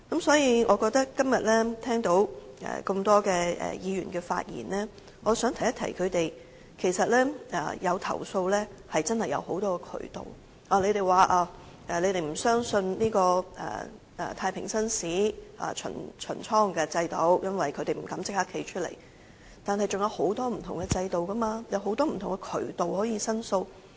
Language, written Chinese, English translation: Cantonese, 所以，我今天聽到多位議員的發言後，便想提醒他們，投訴確實是有很多渠道，他們說不相信太平紳士巡倉制度，因為囚犯不會敢當面站出來，但我們是仍然有很多不同制度，有很多不同渠道可以申訴的。, For that reason upon listening to the speeches of a number of Members today I wish to remind them that there are many channels for them to lodge their complaints . They say that they do not trust the prison visit by Justices of the Peace JPs because no prisoners would dare to stand up and speak out during the prison visit but we still have many systems and channels in place to facilitate the lodging of complaints